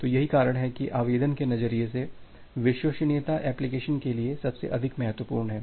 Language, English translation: Hindi, So, that is why from the application perspective, reliability is at most importance for many of the application